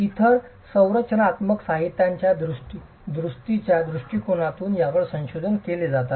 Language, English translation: Marathi, It's also being researched from the point of view of repair of other structural materials